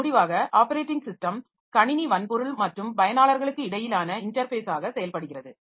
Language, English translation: Tamil, So, to conclude, so operating system it acts as an interface between computer hardware and users